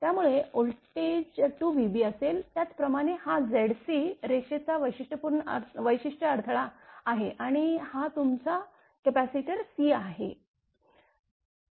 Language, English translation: Marathi, So, same as before voltage will be 2 v b this is Z c the characteristic impedance line and this is your capacitor C right